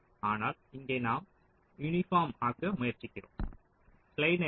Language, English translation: Tamil, ok, but here we are trying to meet the uniform and a ah